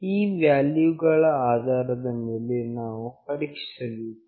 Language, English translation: Kannada, After reading the values, we need to check